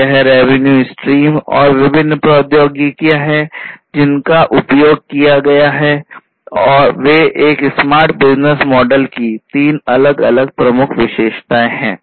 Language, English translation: Hindi, So, that is the revenue stream and the different technologies that are going to be used these are the three different key attributes of a smart business model